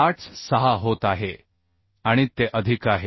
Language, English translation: Marathi, 86 and it is more than 1